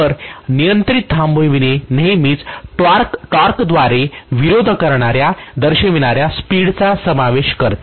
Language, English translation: Marathi, So control stopping will involve always the speed being opposed by the torque, right